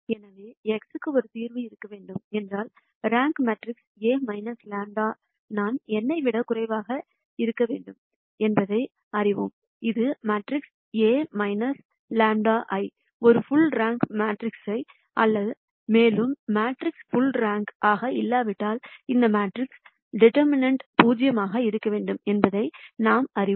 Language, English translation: Tamil, So, if there needs to be a solution for x, then we know that the rank of the matrix A minus lambda I has to be less than n; that is the matrix A minus lambda I is not a full rank matrix, and we know that if the matrix is not full rank then the determinant of that matrix has to be 0